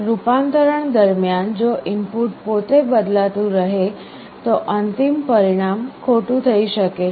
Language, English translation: Gujarati, During conversion if the input itself is changing, the final result may become erroneous